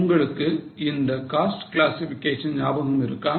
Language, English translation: Tamil, Do you remember that cost classification